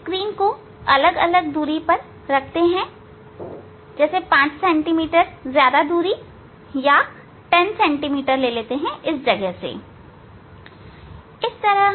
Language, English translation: Hindi, keeping the screen at different distance say 5 centimeter more distance or yes, 5 centimeter 10 centimeter from the from this position